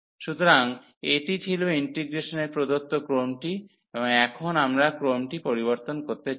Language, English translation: Bengali, So, this was the given order of the integration, and now we want to change the order